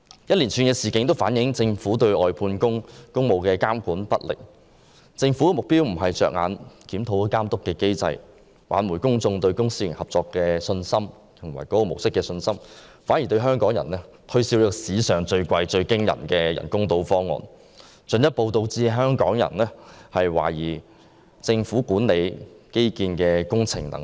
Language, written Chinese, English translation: Cantonese, 一連串事件均反映政府對外判工務監管不力，政府不是着眼於檢討監督機制，挽回公眾對公私營合作模式的信心，反而向香港人推銷史上最昂貴的人工島方案，進一步導致香港人懷疑政府管理基建工程的能力。, A series of incidents have reflected the Governments ineffective monitoring of the outsourced works projects . Instead of reviewing the monitoring mechanism to regain public confidence in the public - private partnership approach the Government now promotes the artificial islands project which is the most expensive works project in the history of Hong Kong . Members of the public will further query the capability of the Government in managing infrastructure works